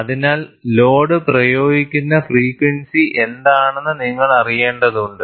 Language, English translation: Malayalam, So, you will have to know what is the frequency with which load is being applied